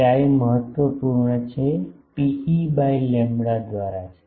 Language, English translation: Gujarati, Chi is important it is rho e by lambda and